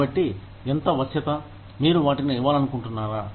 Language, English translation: Telugu, So, how much of flexibility, do you want to give them